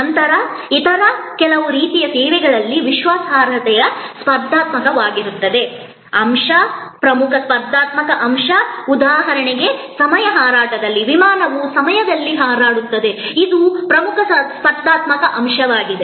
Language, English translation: Kannada, Then in some other kinds of services dependability can be the competitive element, key competitive element like for example, on time flight in cases of airlines service